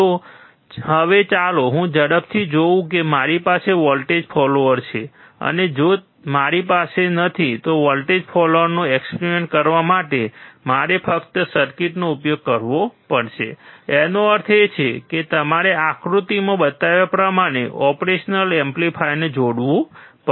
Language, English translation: Gujarati, So now, let us quickly see if I have a voltage follower, and if I don’t, to do an experiment using a voltage follower, you have to just use the circuit; that means, you have to connect the operation amplifier as shown in the figure